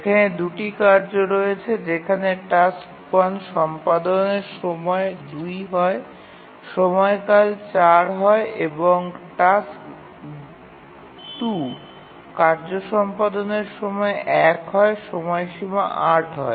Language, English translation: Bengali, Now there are two tasks, execution time 2, period 4, task 2, execution time 1, period 8